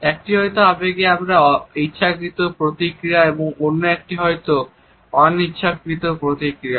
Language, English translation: Bengali, One may be voluntary and the other may be involuntary emotional response